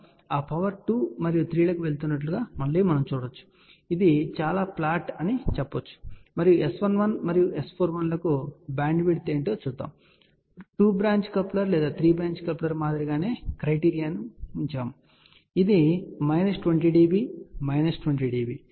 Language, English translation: Telugu, So, we can again see that power going to 2 and 3 you can say that it is fairly flat, ok and let us see now what is the bandwidth for S 11 and S 41 we have kept the same criteria as for two branch coupler or 3 branch couplers which is minus 20 dB minus 20 dB